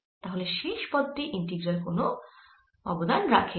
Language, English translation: Bengali, so the last term, this does not contribute to the integral at all